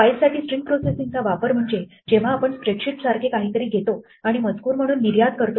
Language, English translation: Marathi, A typical use of string processing for a file is when we take something like a spread sheet and export it as text